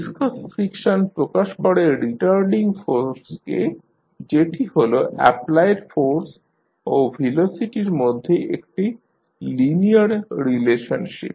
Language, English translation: Bengali, Viscous friction represents retarding force that is a linear relationship between the applied force and velocity